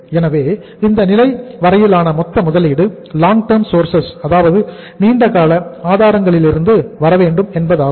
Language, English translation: Tamil, So it means the total investment up to this level has to come from the long term sources